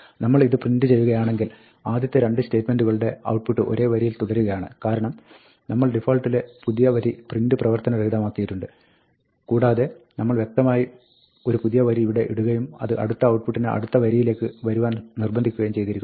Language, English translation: Malayalam, If we print this, what we see is that, the first 2 statements continue on the same line, come on a single line, because, we have disabled the default print new line and we have explicitly put a new line here and this has forced the next one to come on the next line